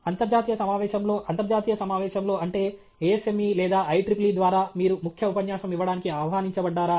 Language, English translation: Telugu, In an international conference, in an international meeting, that is ASME or IEEE, are you invited to give a key note lecture